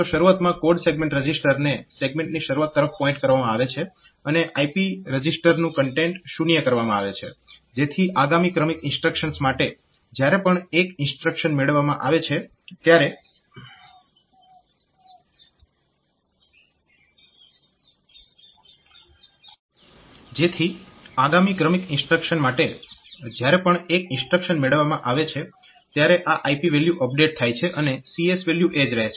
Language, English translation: Gujarati, So, at the beginning, code segment register has been made to point to the beginning of the segment and the IP register content is made zero, so that in successive instruction whenever one instruction has been fetched, this IP valve is updated and CS value remain same the IP value is updated, so that it can go to the next instruction without affecting the CS register